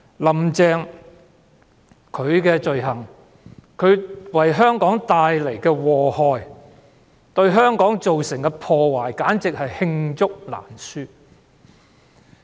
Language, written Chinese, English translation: Cantonese, "林鄭"的罪行、為香港帶來的禍害、對香港造成的破壞簡直是罄竹難書。, The sins committed by Carrie LAM and the harms and damages she has done to Hong Kong are too numerous to list